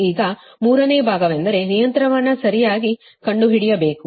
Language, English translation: Kannada, now, third part is that you have to find out the regulation, right